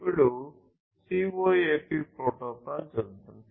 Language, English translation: Telugu, So, let us now look at the CoAP protocol